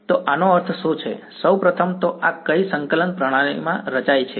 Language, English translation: Gujarati, So, what does this mean, first of all what coordinate system is this plotted in